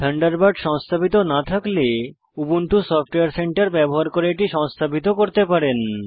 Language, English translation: Bengali, If you do not have Mozilla Thunderbird installed on your computer, you can install it by using Ubuntu Software Centre